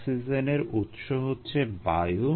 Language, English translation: Bengali, the source of oxygen was air